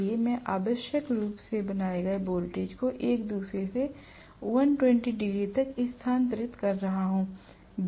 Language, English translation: Hindi, So, I am going to have essentially the voltages created which are shifted from each other by 120 degrees